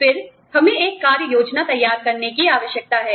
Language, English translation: Hindi, Then, we need to design, an action plan